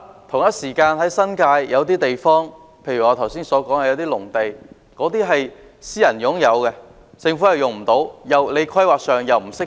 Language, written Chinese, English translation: Cantonese, 同時，新界有些土地例如我剛才提到的農地屬私人擁有，政府無法使用，而在規劃上又未予以釋放。, Meanwhile some lands in the New Territories such as those agricultural lands I mentioned just now are privately owned . The Government can neither put them to use nor release them in planning